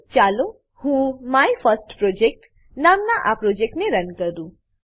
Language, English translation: Gujarati, Let me run this Project named MyFirstProject